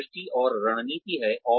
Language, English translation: Hindi, There is a vision and strategy